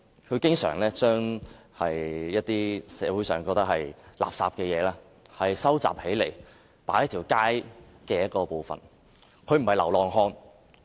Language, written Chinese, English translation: Cantonese, 他經常把社會覺得是垃圾的東西收集起來，擺放在街上某處。, He collected things that people consider garbage and stored them at roadside